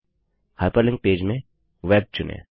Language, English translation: Hindi, In the Hyperlink type, select Web